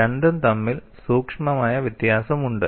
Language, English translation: Malayalam, You know, these are all subtle differences